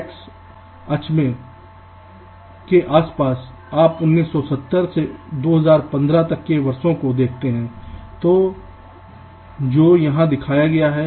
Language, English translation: Hindi, around the x axis you see the years starting from nineteen seventy up to two thousand fifteen, which is shown here